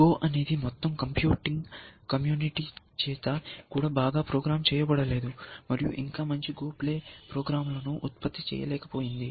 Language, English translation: Telugu, Go is something that we have not been able to program well, by view in the whole computing community, has not been able to produce good go playing programs